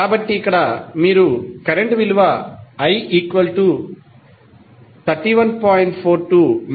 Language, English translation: Telugu, So, here you will get current I is equal to 31